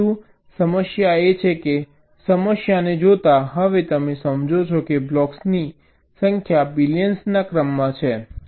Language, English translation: Gujarati, but the problem is that, given a problem, now you understand that the number of blocks are in the order of billions